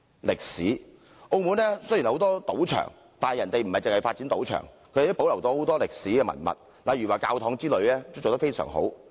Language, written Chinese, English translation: Cantonese, 歷史方面，澳門雖然有很多賭場，但當地不僅發展賭場，還保留了很多歷史文物，例如教堂等保育得非常好。, As regards history despite the presence of many casinos Macao not only facilitates the development of casinos but also retains many historic relics such as churches which are well preserved